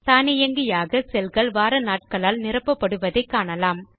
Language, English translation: Tamil, The cells get filled with the weekdays automatically